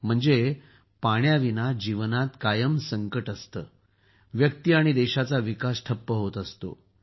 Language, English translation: Marathi, Without water life is always in a crisis… the development of the individual and the country also comes to a standstill